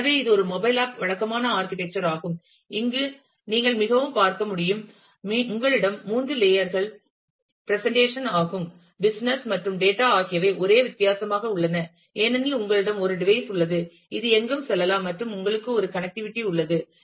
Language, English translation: Tamil, So, this is the typical architecture of a mobile app as you can see again here, that you have the three layers presentation, business and data the only difference being now, since you have a device, which can go anywhere and you have a connectivity